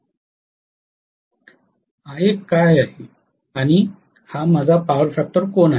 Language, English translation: Marathi, Which is Ia and this going to be my power factor angle phi okay